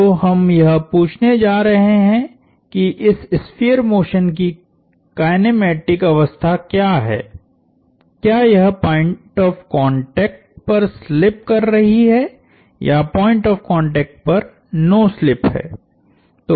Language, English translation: Hindi, So, we going to ask, what is the kinematic state of this sphere motion that is, is it slipping at the point of contact or no slip at the point of contact